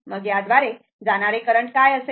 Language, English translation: Marathi, Then, what will be the current through this